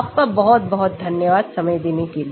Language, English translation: Hindi, Thank you very much for your time